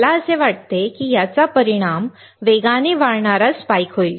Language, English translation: Marathi, I find that it will result in a fast raising spike